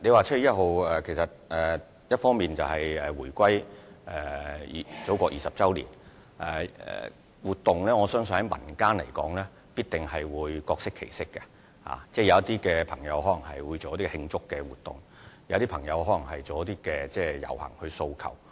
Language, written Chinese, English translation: Cantonese, 7月1日，香港回歸祖國20周年，我相信民間活動必定會各適其適，有些朋友可能會舉辦慶祝活動，有些則可能會遊行以表達訴求。, On 1 July which marks the 20 Anniversary of Hong Kongs reunification with the Motherland I believe various activities which suit different needs of the people will be held in the community . Some people may organize celebration activities while others may take part in the rally to express their demands